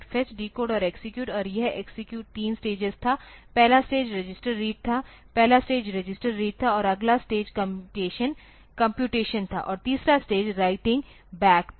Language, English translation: Hindi, Fetch, decode and execute and this execute was 3 stages; the first stage was register read, first stage was register read and the next stage was the computation and the third stage was the writing back